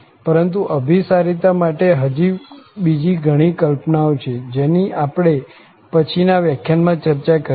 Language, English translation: Gujarati, But there are some more notions of the convergence which we will be discussed in the next lecture